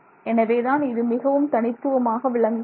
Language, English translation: Tamil, So, that is a very unique situation